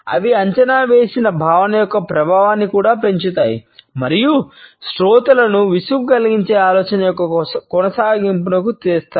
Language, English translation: Telugu, They also increase the impact of the projected feeling and bring the continuity of thought making the listeners bored